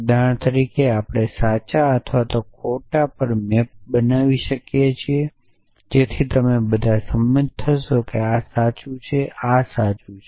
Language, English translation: Gujarati, So, this for example, we can map to true or false so all of you will agree that this is true this is true